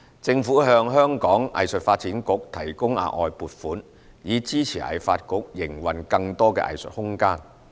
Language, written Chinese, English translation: Cantonese, 政府向藝發局提供額外撥款，以支持藝發局營運更多藝術空間。, The Government has provided additional funding to HKADC to support its operation of more arts space